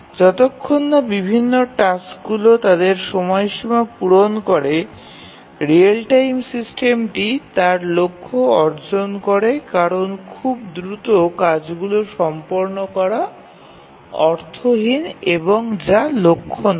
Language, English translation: Bengali, As long as the different tasks meet their deadlines the real time system would have achieved its goal, there is no point in completing the tasks very fast that is not the objective